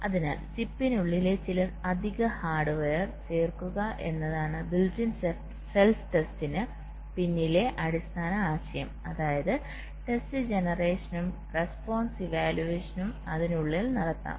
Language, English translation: Malayalam, so the basic concept behind built in self test is to add some additional hardware inside the chip such that test generation and response evaluation can be done inside